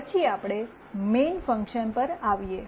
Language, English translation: Gujarati, Then we come to the main function